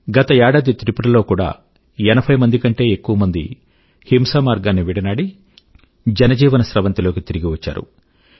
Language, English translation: Telugu, Last year, in Tripura as well, more than 80 people left the path of violence and returned to the mainstream